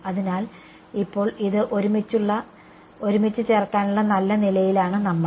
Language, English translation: Malayalam, So, now, we are in a good position to put this together